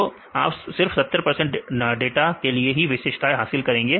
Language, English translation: Hindi, So, then you capture the features only for 70 data